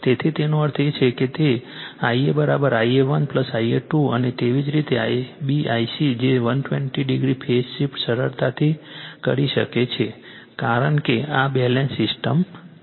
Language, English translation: Gujarati, So, ; that means, your I a is equal to I a 1 plus I a 2 and similarly I b I c that 120 degreephase shift you can easily make out because this is Balanced system